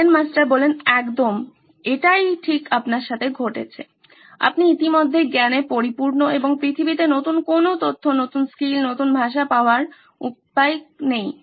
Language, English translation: Bengali, Zen Master said exactly what is happening with you, you are already full up to the brim with knowledge and there’s no way on earth you are going to get new information, new skills, new language